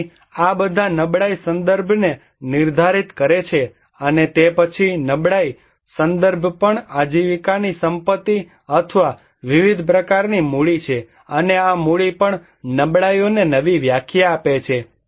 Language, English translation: Gujarati, So, these all define vulnerability context and then the vulnerability context also is livelihood assets or the various kind of capital and this capital also is redefining the vulnerability